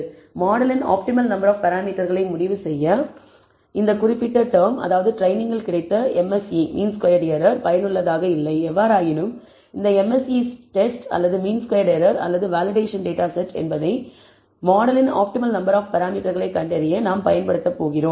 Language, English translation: Tamil, So, this particular term as I said the MSE on training is not useful for the purpose of deciding on the optimal number of parameters of the model; however, this test MSE test or the mean squared error or the validation data set is the one that we are going use for finding the optimal number of parameters of the model